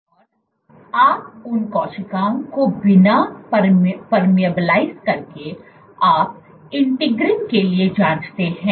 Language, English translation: Hindi, And you look at without permeabilizing the cells you probe for integrins